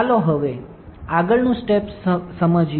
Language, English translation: Gujarati, Now, next step let us see next step